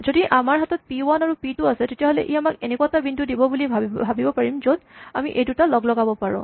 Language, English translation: Assamese, So, what we would expect that if I had p 1 and if I had p 2 then I would get something which gives me a point where I combine these two